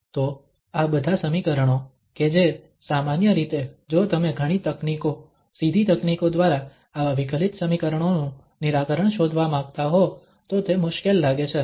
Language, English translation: Gujarati, So, all these equations which normally if you want to find the solution of such differential equations, it appears to be difficult usually by many techniques, the direct techniques